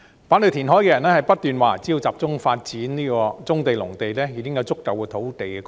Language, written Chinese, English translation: Cantonese, 反對填海的人不斷說只要集中發展棕地和農地，已經有足夠土地供應。, People who oppose reclamation keep saying that land supply will be sufficient if we focus on the development of brownfield sites and agricultural land